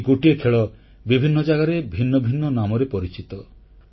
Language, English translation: Odia, A single game is known by distinct names at different places